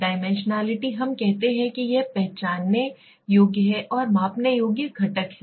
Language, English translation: Hindi, Dimensionality we say it set of identifiable and measurable components